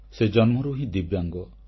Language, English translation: Odia, He is a Divyang by birth